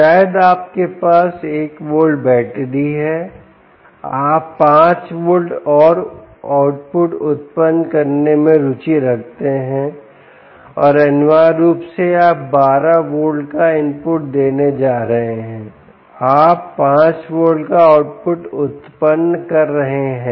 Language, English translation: Hindi, perhaps you have a one volt battery, you are interested in generating five volts and the output, and essentially you are going to give an input of twelve volts